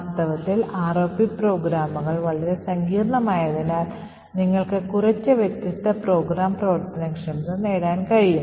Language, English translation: Malayalam, In reality ROP programs can be quite complex you can achieve quite a few different program functionalities